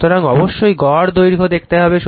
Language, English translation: Bengali, And how to take the mean length how to take